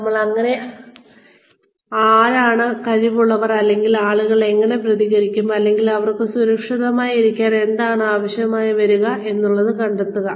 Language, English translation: Malayalam, How do you find out, who is capable, or how people are going to react, or what they might need sitting in a safe